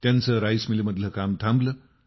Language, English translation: Marathi, Work stopped in their rice mill